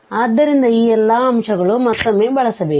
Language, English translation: Kannada, So, all these points to be used again